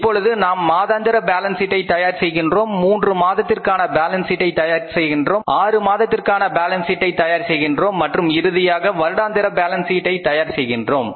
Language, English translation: Tamil, Now we prepare monthly balance sheets we prepare three monthly balance sheets we prepare six monthly balance sheets and finally we prepare the annual balance sheets